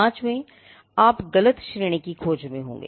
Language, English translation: Hindi, Fifthly, you could be searching in the wrong classes